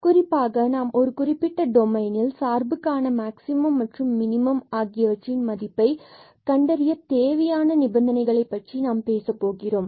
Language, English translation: Tamil, And in particular we will be talking about the necessary conditions that are required to find the maximum and minimum values of the function in a certain domain